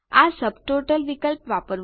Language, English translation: Gujarati, Use the Subtotal option